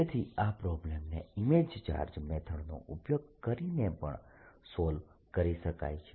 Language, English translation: Gujarati, so one could also solved this problem using the image charge plot